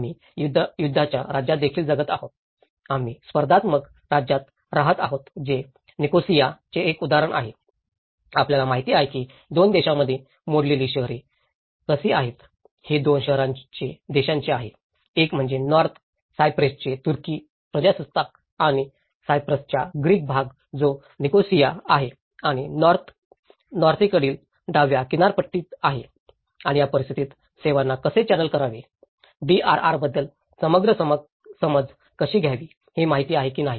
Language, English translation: Marathi, We are also living in the state of wars, we are living in the state of contestation that is where an example of Nicosia, you know how a cities broken into 2 countries, this belongs to two countries; one is the Turkish Republic of North Cyprus and Greek part of the Cyprus which is a Nicosia and the left coast side in the north and in this conditions obviously, how to channel the services, how to have a holistic understanding of DRR, you know whether it is the natural made or a man made disasters, how we need to have bring back consent